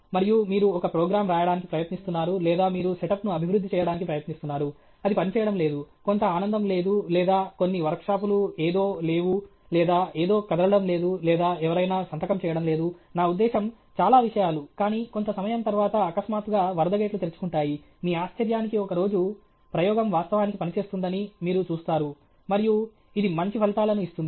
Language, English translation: Telugu, And you are trying to write a program or you are trying to develop a setup, it is not working; some joy is not there or some workshops something is not there or something is not moving or somebody is not signing; I mean so, many things are, but after sometime suddenly the flood gates will get open; one day to your surprise, you will see the experiment is actually working, and it is giving good results